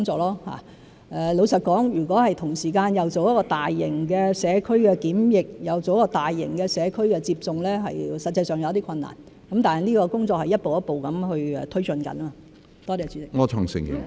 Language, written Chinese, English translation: Cantonese, 老實說，如果同時間做大型的社區檢測，又進行大型的社區接種，實際上有些困難，但這個工作是在一步一步推進中。, Frankly if large scale community testing and large scale community vaccination are to be undertaken concurrently there will be practical difficulties but the work is being taken forward step by step